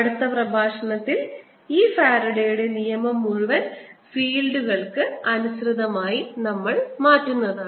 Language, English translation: Malayalam, in the next lecture we will be turning this whole faradays law into in terms of fields